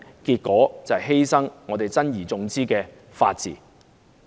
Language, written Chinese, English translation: Cantonese, 便是犧牲我們珍而重之的法治。, The rule of law that we treasure dearly will then be sacrificed